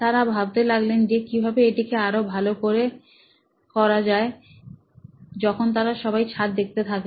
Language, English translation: Bengali, It is to see how can we make it better when all they are seeing is the roof